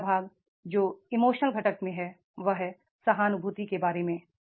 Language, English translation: Hindi, The third part which is in the emotional component is there and that is about the empathy